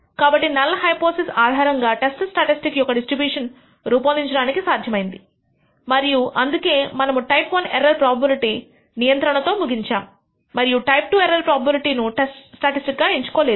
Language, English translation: Telugu, Therefore, it is possible to construct the distribution of the test statistic under the null hypothesis and that is the reason we only end up con controlling the type I error probability and not the type II directly by choosing the test statistic